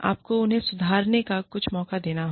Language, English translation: Hindi, You need to give them, some chance to improve